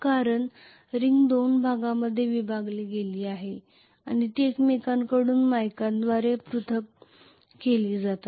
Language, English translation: Marathi, Because the ring is split into 2 portions and they are insulated from each other with mica